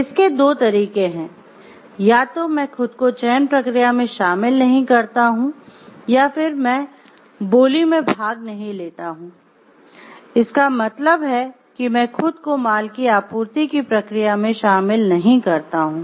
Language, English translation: Hindi, There are two ways, either I do not involve myself in the selection process or else I do not participate in the bid means I don't engage in the process of supplying goods to the organization